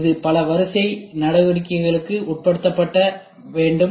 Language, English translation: Tamil, It has to undergo so many sequence of operations